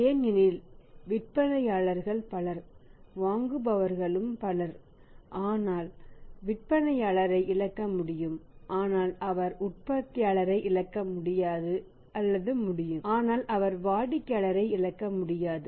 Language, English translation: Tamil, Because sellers are multiple buyers also multiple but he can afford to lose the seller but he cannot or he can afford to lose lose the manufacturer but he cannot afford to lose customer